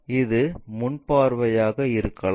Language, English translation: Tamil, This might be the front view top view